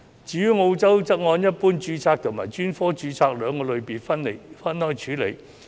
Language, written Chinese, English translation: Cantonese, 至於澳洲則按一般註冊及專科註冊兩個類別分開處理。, In Australia registrations are categorized into general registration and specialist registration